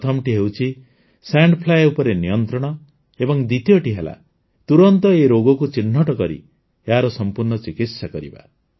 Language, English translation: Odia, One is control of sand fly, and second, diagnosis and complete treatment of this disease as soon as possible